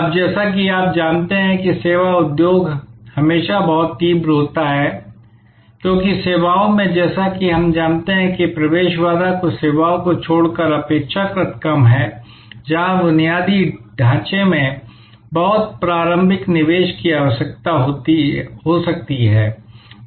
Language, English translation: Hindi, Now, this as you know in the services industry is always very intense, because in services as we know entry barrier is relatively much lower except in certain services, where there may be a lot of initial investment needed in infrastructure